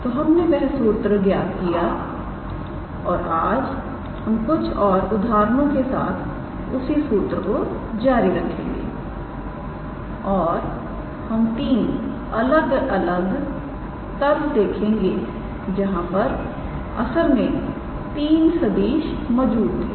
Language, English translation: Hindi, So, we derived that formula and we were also working our few examples today we will continue with that formula and we will look into three different planes where those three vectors lie actually